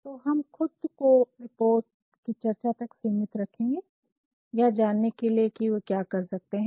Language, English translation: Hindi, So, let us confine ourselves to discussing some of the reports only by knowing what they can do